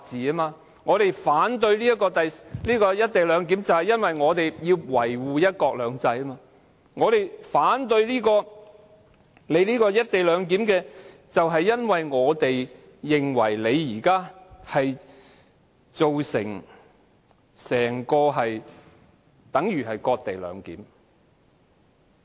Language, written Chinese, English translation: Cantonese, 我們之所以反對"一地兩檢"安排，是為要維護"一國兩制"；我們反對"一地兩檢"，是因為我們認為現時的做法，等同"割地兩檢"。, We oppose the co - location arrangement for the sake of defending one country two systems; we oppose the co - location arrangement because we opine that the implementation of the co - location arrangement would amount to co - location arrangement by ceding the territory of Hong Kong to the Mainland